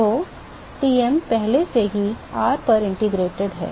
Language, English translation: Hindi, So, Tm is already integrated over r